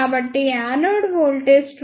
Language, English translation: Telugu, So, anode voltage is equal to 21